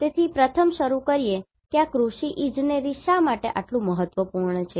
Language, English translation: Gujarati, So, first let us start why this Agriculture Engineering is so important